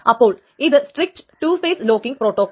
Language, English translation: Malayalam, So that is the strict two phase locking protocol